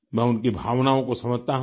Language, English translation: Hindi, I understand his sentiments